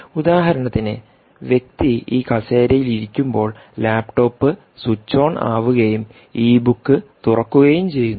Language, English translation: Malayalam, for instance, ah, when the person sits on this chair, the laptop switches on and opens the e book